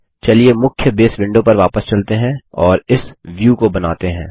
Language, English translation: Hindi, Okay, let us go back to the main Base window, and create this view